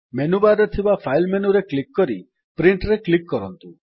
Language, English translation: Odia, Click on the File menu in the menu bar and then click on Print